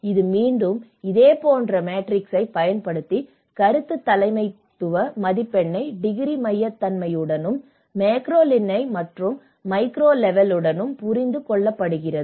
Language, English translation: Tamil, And this is again, we made this similar matrix to understand the opinion leadership score with the degree centrality and with both as a macro level and the micro level so, these are some of the analysis